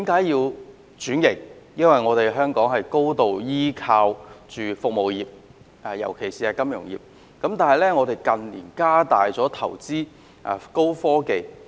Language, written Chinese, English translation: Cantonese, 因為香港高度依靠服務業，尤其是金融業，但香港近年亦加大投資高科技產業。, Because Hong Kong relies heavily on service industries especially the financial industry but the investment in advanced technology industries in Hong Kong has increased in recent years